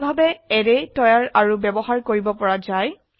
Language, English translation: Assamese, This way, arrays can be created and used